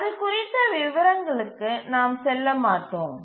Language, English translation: Tamil, We will not go into details of that